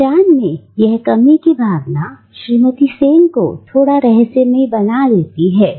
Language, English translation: Hindi, So there is a sense of lack of identity that surrounds this entity of Mrs Sen making her slightly mysterious to us